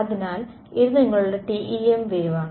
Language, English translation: Malayalam, So, this is your TEM wave